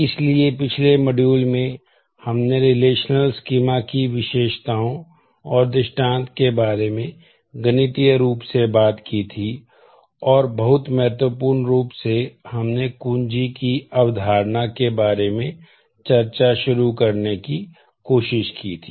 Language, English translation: Hindi, So, in the last module we have talked about attributes relational schemas and instances in mathematical form and very importantly we have tried to introduce discuss about the concept of keys